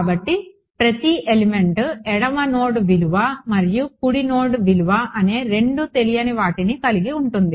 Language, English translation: Telugu, So, every element has two unknowns, the left node value and the right node value